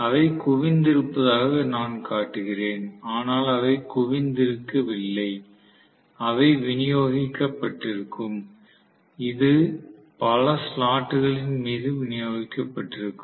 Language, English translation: Tamil, I am showing them as though they are concentrated but they are not concentrated, they will be distributed normally, distributed meaning it is going to be distributed over several slots